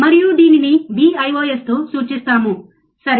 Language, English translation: Telugu, And it is denoted by Vios, alright